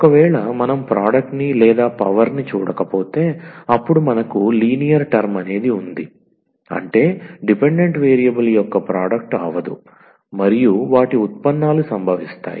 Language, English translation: Telugu, So, if we do not see the product or the power, then we have the linear term meaning the no product of the dependent variable and or the derivatives occur